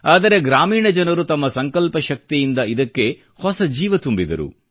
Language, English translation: Kannada, But the villagers, through the power of their collective resolve pumped life into it